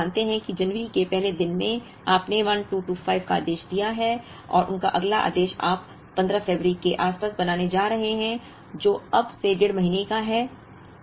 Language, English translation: Hindi, So, if we assume that in the first day of January, you have ordered 1225 and their next order you are going to make around 15th of the February, which is one and a half months from now